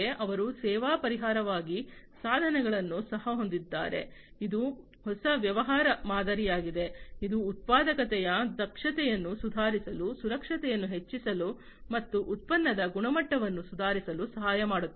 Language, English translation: Kannada, So, they also have a tools as a service solution, which is a new business model, which can help in improving the efficiency of productivity, enhancing the safety, and improving product quality